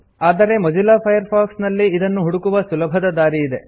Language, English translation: Kannada, But there is an easier way to do the same thing with Mozilla Firefox